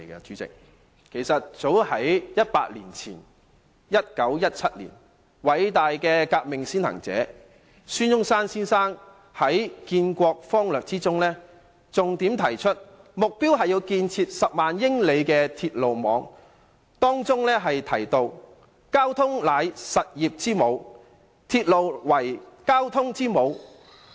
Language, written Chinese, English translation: Cantonese, 早在100年前的1917年，偉大的革命先行者孫中山先生在建國方略中重點提出，目標是要建設10萬英里的鐵路網。當中提到，"交通為實業之母，鐵路又為交通之母。, Dr SUN Yat - sen the great revolutionary pioneer of China had placed emphasis in his book Constructive Scheme for Our Country the goal of building 100 000 miles of railways as early as a century ago in 1917